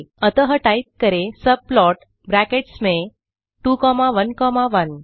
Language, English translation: Hindi, So we can type subplot within brackets 2 comma 1 comma 1